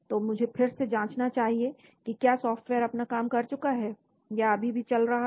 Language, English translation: Hindi, So let me again check whether the software is done its job it is still running